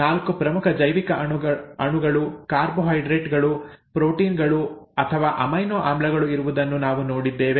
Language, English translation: Kannada, We saw that there were 4 major biomolecules, carbohydrates, proteins or amino acids, whichever you want to call it